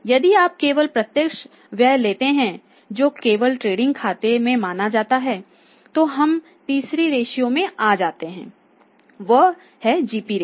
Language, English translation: Hindi, So, if you take only direct expenses pictures only considered in the trading account then we will be coming to the third ratio that is GP ratio